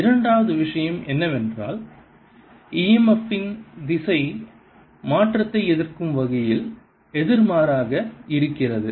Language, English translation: Tamil, the second thing is that the direction of e m f is opposite, such that it opposes the change